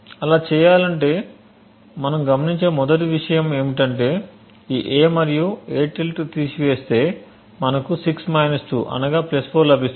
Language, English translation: Telugu, In order to do so the first thing we observe is that if we subtract a and a~ we would get 6 2 which is essentially +4